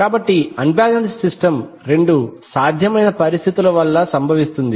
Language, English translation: Telugu, So, unbalanced system is caused by two possible situations